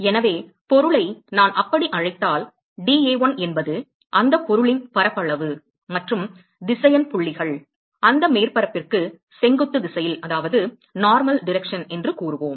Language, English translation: Tamil, So, if I call the object as let us say dA1 is the surface area of that object and the vector points in the normal direction to that surface